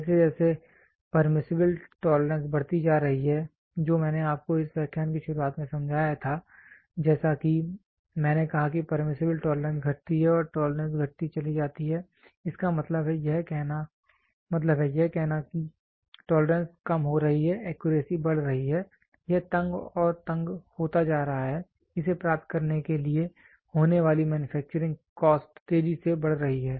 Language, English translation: Hindi, As the permissible tolerance goes on increasing which I explained to you in the beginning of this lecture the accuracy I said as the permissible tolerance goes on decreasing tolerance goes on decreasing; that means, to say the tolerance is decreasing, the accuracy is increasing it is becoming tighter and tighter, the manufacturing cost incurred to be achieved it goes on increasing exponentially